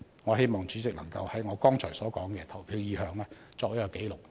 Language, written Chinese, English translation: Cantonese, 我希望主席能夠把我剛才澄清的投票意向記錄在案。, I hope the Chairman will put on record my voting intention that I clarified just now